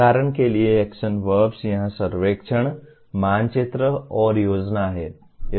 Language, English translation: Hindi, For example action verbs here are survey, map and plan